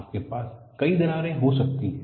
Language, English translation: Hindi, You can have multiple cracks